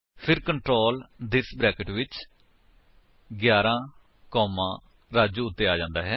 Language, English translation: Punjabi, Then the control comes to this within brackets 11 comma Raju